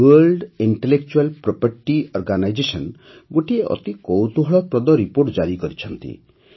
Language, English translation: Odia, The World Intellectual Property Organization has released a very interesting report